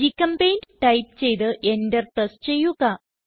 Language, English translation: Malayalam, Type GChemPaint and press Enter